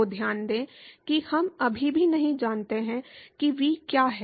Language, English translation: Hindi, So, note that we still do not know what v is